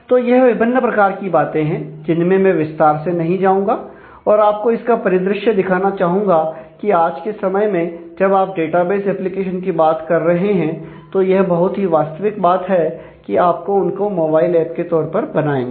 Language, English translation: Hindi, So, these are very variety I will not go into details of this, but just wanted to give a glimpse of the fact, that in today’s time while you are talking about database applications then it is a very reality, that you will create that as a mobile app